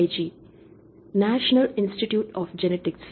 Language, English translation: Tamil, jp/ NIG National Institute of Genetics